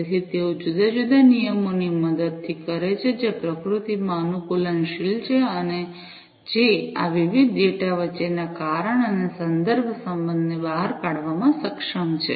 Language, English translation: Gujarati, So, that they do with the help of different rules, which are adaptive in nature, and which are able to extract the causal and contextual relationships between these different data